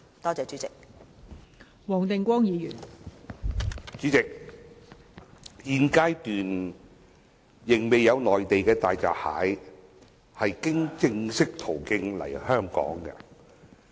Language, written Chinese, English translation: Cantonese, 代理主席，現階段仍未有內地大閘蟹經正式途徑來港。, Deputy President no hairy crab from the Mainland has been imported through legitimate means at this stage